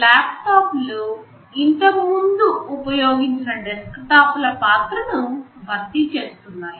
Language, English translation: Telugu, So, laptops are replacing the role that desktops used to have earlier